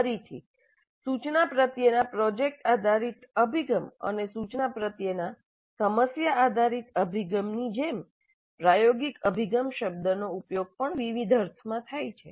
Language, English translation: Gujarati, Again like product based approach to instruction, problem based approach to instruction, the term experiential approach is also being used in several different senses